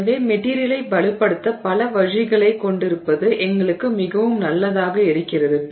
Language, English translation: Tamil, So, it is very nice for us to have multiple ways in which we can strengthen the material